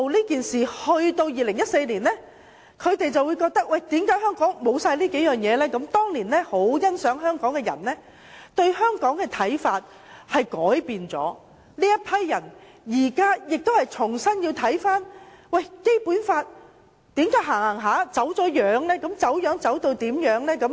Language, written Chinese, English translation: Cantonese, 但是，到了2014年，中央卻發覺香港失去了這些優點，過往很欣賞香港的中央官員改變了對香港的看法，這批官員現正重新審視為何《基本法》的實踐會走了樣。, Nevertheless in 2014 the Central Authorities found that Hong Kong had lost such advantages . Officials of the Central Authorities who once appreciated the advantages of Hong Kong had taken a different view . They are now reviewing why the implementation of the Basic Law has been distorted